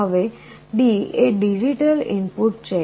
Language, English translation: Gujarati, Now D is a digital input